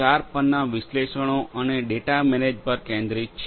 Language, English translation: Gujarati, 0 focuses on the analytics and data management